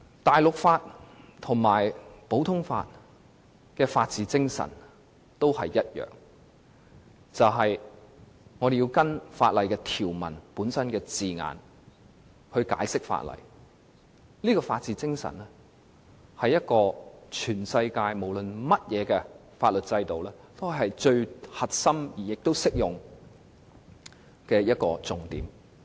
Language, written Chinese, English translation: Cantonese, 大陸法和普通法的法治精神都是一樣，那就是按照法律條文的字眼解釋法例，這種法治精神是全世界所有法律制度最核心和適用的要點。, Continental law and common law should share the same rule of law spirit that is to interpret laws as per the wording of the provisions . The rule of law spirit is the core and the most applicable point of all of the legal systems around the world